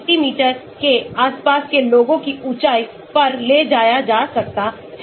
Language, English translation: Hindi, people around 180 centimeters can be taken height and so on